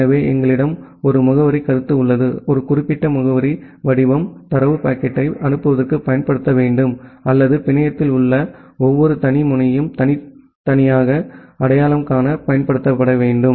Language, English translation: Tamil, So, we have a addressing concept, a particular addressing format that need to be used to forward the data packet or that need to be used to uniquely identify every individual node in the network